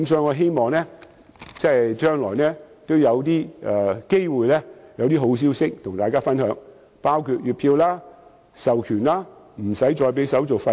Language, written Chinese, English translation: Cantonese, 我希望將來有機會與大家分享好消息，包括月票、授權及免購票手續費等。, I hope I will have good news to share in the future on the monthly ticket authorization and waiver of ticketing handling fee